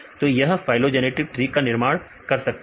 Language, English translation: Hindi, So, we can construct this phylogenetic tree